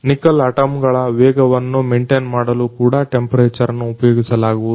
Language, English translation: Kannada, Also, the temperature is used to maintain the speed of Nickel atoms